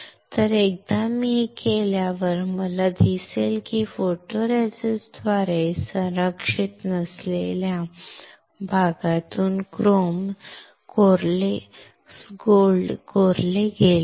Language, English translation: Marathi, So, once I do this, what I will see is that the chrome gold has been etched from the area which was not protected by photoresist